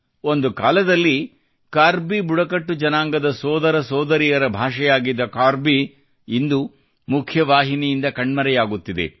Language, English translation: Kannada, Once upon a time,in another era, 'Karbi', the language of 'Karbi tribal' brothers and sisters…is now disappearing from the mainstream